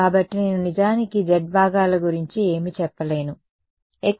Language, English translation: Telugu, So, I cannot actually say anything about the z components ok